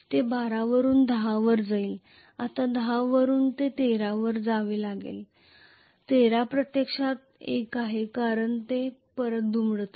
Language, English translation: Marathi, From 12 it will go back to 10 now from 10 it should go to 13, 13 is actually 1 because it is folding back,right